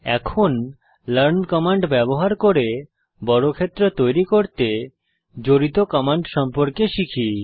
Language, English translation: Bengali, Now lets learn the commands involved to draw a square, using the learn command